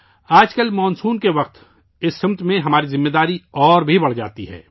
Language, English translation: Urdu, These days during monsoon, our responsibility in this direction increases manifold